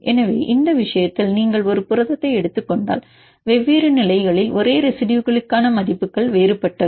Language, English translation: Tamil, So, in this case if you take a protein the values for same residues at different positions are different